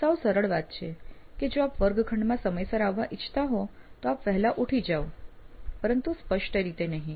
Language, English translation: Gujarati, You know If you want to come on time in class, they should wake up early as simple as that but apparently not